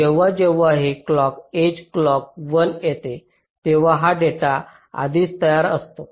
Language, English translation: Marathi, so when this clock h comes, clock one, this data is already ready